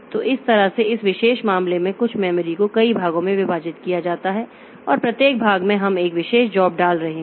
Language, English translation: Hindi, So, in this way, in this particular case, so memory is divided into a number of parts and in each part we are putting one particular job